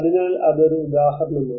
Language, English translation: Malayalam, So that is one example